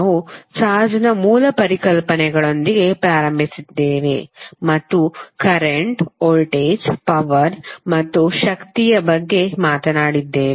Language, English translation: Kannada, So we started with the basic concepts of charge then we spoke about the current, voltage, power and energy